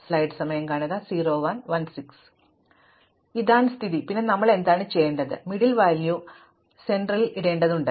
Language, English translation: Malayalam, Well, if this is the case, then what we need to do is, we need to put the middle value in the center